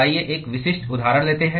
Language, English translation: Hindi, Let us take a specific example